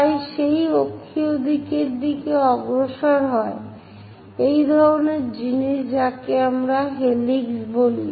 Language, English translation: Bengali, They move in that axial direction—such kind of things what we call helix